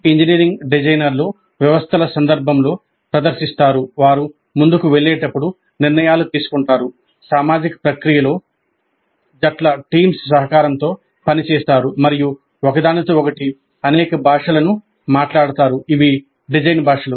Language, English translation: Telugu, Engineering designers perform in a systems context, making decisions as they proceed, working collaboratively on teams in a social process, and speaking several languages with each other